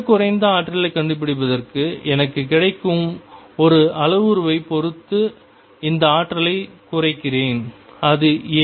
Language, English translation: Tamil, And to find the lowest energy I minimize this energy with respect to the only parameter that is available to me and that is a